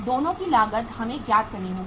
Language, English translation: Hindi, Both the cost we will have to work